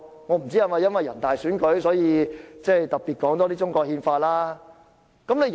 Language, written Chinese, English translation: Cantonese, 我不知道是否由於人大選舉臨近，所以特別多談中國憲法。, I do not know if it is because an election of National Peoples Congress delegates will soon be held so that the Chinese constitution is frequently mentioned